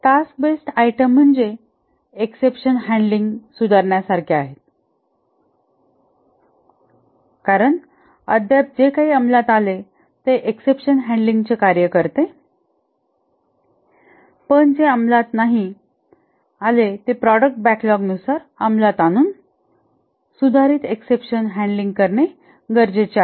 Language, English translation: Marathi, The task based items are like improve exception handling because still now what was implemented is that the exception handling it works but not that well and then an item in the product backlog will be introduced is that improve the exception handling